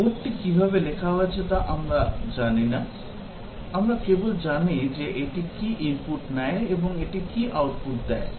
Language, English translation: Bengali, We do not know how the code has been written; we just know what is the input that it takes and what is the output it produces